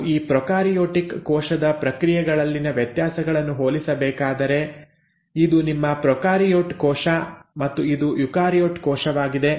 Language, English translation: Kannada, Now if one were to compare the differences in these processes, let us say in a prokaryotic cell; so this is your prokaryotic cell and this is a eukaryotic cell